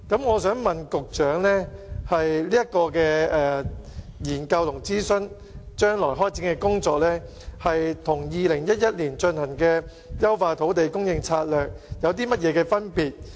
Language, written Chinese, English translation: Cantonese, 我想問局長就有關的研究和諮詢，將來開展的工作與2011年進行的"優化土地供應策略"公眾諮詢有何分別？, Secretary speaking of the new studies and consultation in what ways will they be different the public consultation on Enhancing Land Supply Strategy back in 2011?